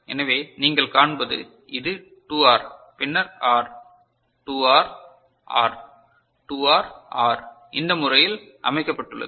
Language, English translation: Tamil, So, what you see this also you can see this is a 2R then R; 2R R, 2R R this is the way it has been arranged ok